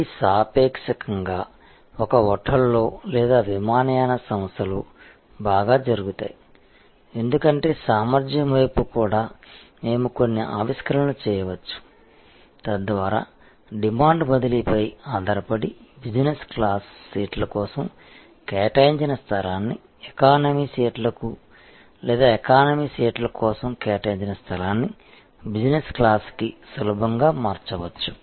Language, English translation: Telugu, These are relatively well done in a hotel or on an airlines, because on the capacity side also we can do some innovation, whereby we can actually easily convert the space allocated for business class seats to economy seats or the space allocated for economy seats to business class seats depending on shifting demand